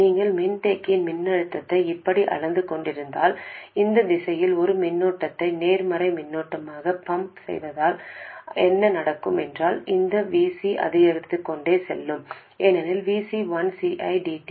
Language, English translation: Tamil, If you are measuring the voltage of the capacitor like this and if you pump a current, positive current in that direction, what happens is this VC will go on increasing